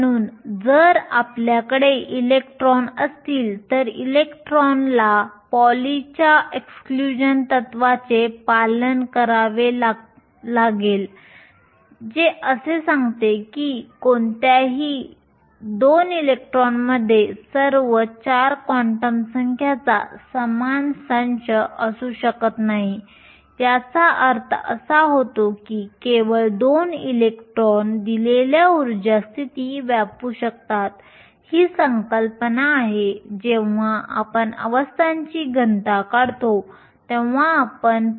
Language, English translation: Marathi, So, if you have electrons, electrons have to obey PauliÕs exclusion principle which states that no 2 electrons can have the same set of all 4 quantum numbers this translate into the fact that only 2 electrons can occupy a given energy state this is the concept that we have used when we derive the density of states